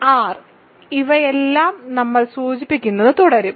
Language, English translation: Malayalam, I will keep denoting all these by R